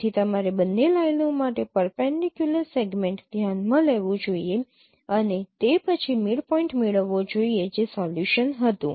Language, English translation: Gujarati, So, you should consider a perpendicular segment for both the lines and then get the midpoint